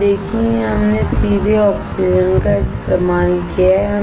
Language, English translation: Hindi, You see, here we have used oxygen directly